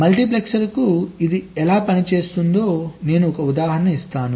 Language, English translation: Telugu, i will give an example for a multiplexer that how it works